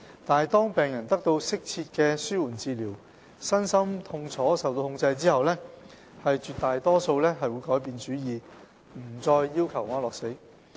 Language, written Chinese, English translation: Cantonese, 但是，當病人得到適切的紓緩治療，身心痛楚受到控制後，絕大多數會改變主意，不再要求安樂死。, However most of these patients will change their mind and give up their requests when their pain is under control after receiving suitable palliative care treatment